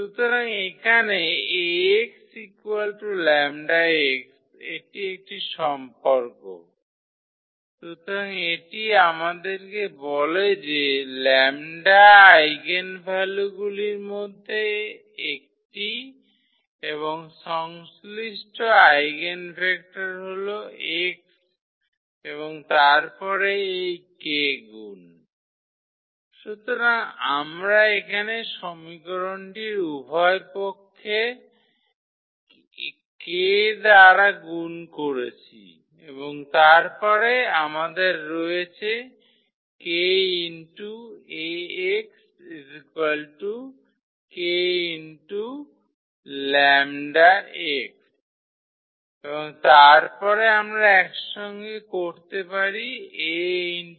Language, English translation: Bengali, So, here Ax is equal to lambda x that is a relation, so it tells us that lambda is one of the eigenvalue and the corresponding eigenvector is x and then this k time, so we multiplied the equation by k here both the sides and then we have k times this Ax is equal to k times this lambda x and then we can combine this like A into this kx and is equal to lambda times this kx there